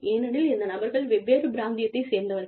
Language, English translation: Tamil, These people, belong to different geographical regions